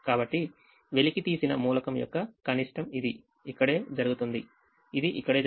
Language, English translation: Telugu, so the minimum of the uncovered element is one which is happens to be here, which happens to be here